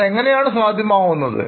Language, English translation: Malayalam, That is not possible